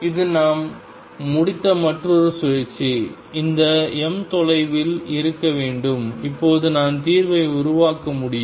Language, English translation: Tamil, This is another cycle we have completed this m should be way away and now I can build up the solution and so on